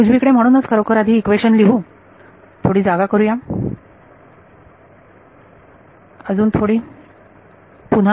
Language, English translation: Marathi, So, lest actually write this equation on the right hand side make some space again